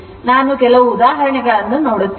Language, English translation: Kannada, We will see some example